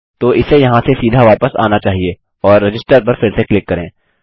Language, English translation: Hindi, So it should just come straight back from here and re click on register